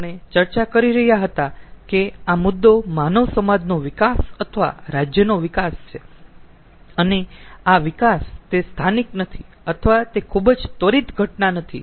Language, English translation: Gujarati, ah, the issue is the development of the humankind and development of a society or state, and this development, it is not a local or it is not a very instantaneous phenomena